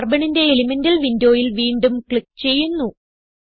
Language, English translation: Malayalam, Click again on the Elemental window of Carbon